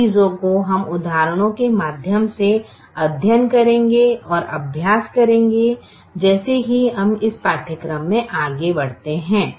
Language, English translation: Hindi, those things we we will study through examples and exercise as we move along in this course